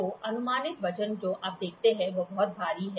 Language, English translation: Hindi, So, approximate weight you see it is very heavy